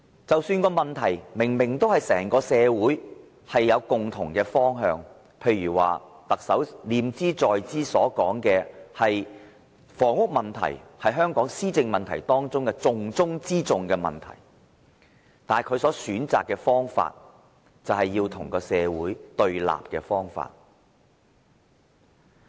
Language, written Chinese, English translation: Cantonese, 即使某項問題是整個社會明明已有共同方向，例如特首念茲在茲所說的，就是房屋問題是香港施政的重中之重，但他選擇了與社會對立的方法。, Even for an issue which society as a whole has a common direction such as the housing issue which the Chief Executive keeps mentioning as the most important task in the governance of Hong Kong he has chosen to go against the will of society